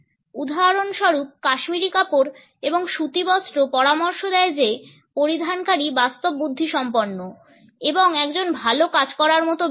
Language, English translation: Bengali, For example, cashmere and cotton suggest that the wearer is sophisticated and also a well to do person